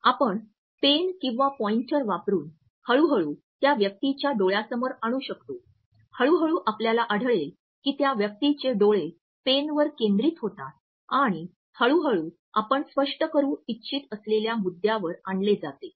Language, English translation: Marathi, Then it sometimes works as a good strategy you can use a pen or a pointer an gradually bring this in front of the eyes of that person, gradually you would find that the eyes of that person are focused on this pen and gradually this pen can be brought to the point which you want to illustrate